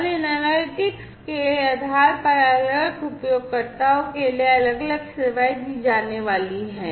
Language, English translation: Hindi, And based on these analytics different services are going to be offered to the different users